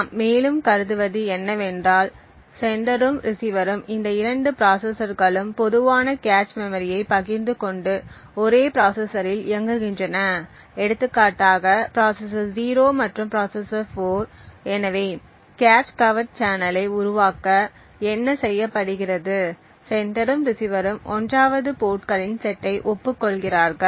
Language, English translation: Tamil, What we assume further is that both of these processors that is the sender and the receiver are sharing a common cache memory and running on the same processor for example the processor 0 and processor 4, so what is done in order to create the cache covert channel is that the sender and the receiver 1st agree upon specific set of ports